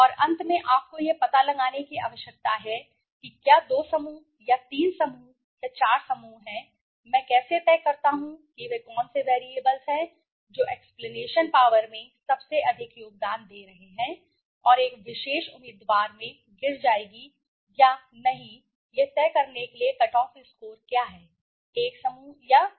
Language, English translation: Hindi, And finally you need to find out if there are two groups or three groups or four groups how do I decide which are the variables which are contributing highest to the explanation power and what is the cut off score to decide whether a particular candidate will fall into one group or the other right